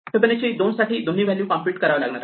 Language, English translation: Marathi, Now we see that for Fibonacci of 2 both the things that it needs have been computed